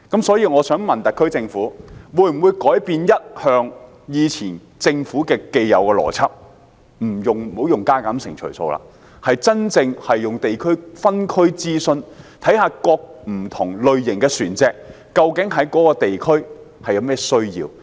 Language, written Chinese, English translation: Cantonese, 所以，我想問特區政府，會否改變政府既有的邏輯，不再用加減乘除數，而是真正進行地區、分區諮詢，檢視不同類型的船隻，究竟在各區有何需要？, In this connection may I ask the SAR Government whether it will change its existing logic in handling the relevant problem? . Instead of using simple arithmetic will the Government actually conduct local consultation in different districts to examine the needs of different classes of vessels in each district?